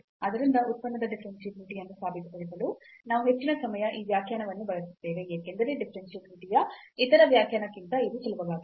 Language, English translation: Kannada, So, we most of the time you will use this definition to prove the differentiability of the function, because this is easier then that the other definition of the differentiability